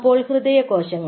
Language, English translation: Malayalam, now cardiac cells